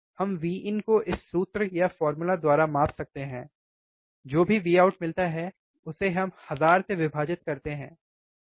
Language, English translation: Hindi, We can measure V in by this formula, whatever V out we get divide by thousand, why